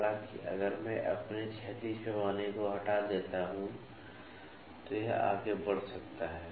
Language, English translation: Hindi, However, if I remove my horizontal scale it can extend further